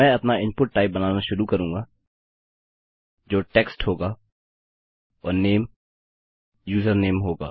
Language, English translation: Hindi, Ill start creating our input type which will be text and the name will be username